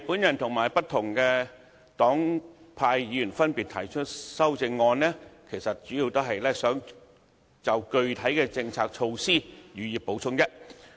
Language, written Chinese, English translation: Cantonese, 我和不同黨派議員分別提出修正案，主要是想就具體政策措施予以補充。, I together with Members of various political parties and groupings have put forward amendments mainly to add details to the specific policy measures